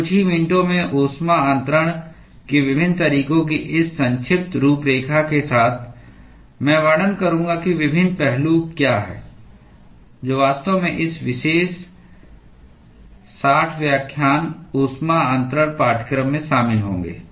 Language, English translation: Hindi, So, with this brief outline of different modes of heat transfer in a few minutes, I will describe what are the different aspects, that will actually be covered in this particular 60 lecture heat transfer course